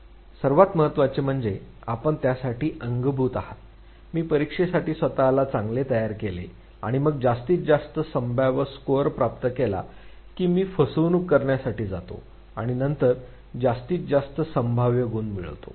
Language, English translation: Marathi, What also matters is the means that you adopt for it, whether I prepare myself well for the exam and then attain the maximum possible score or I go for cheating and then score the maximum possible score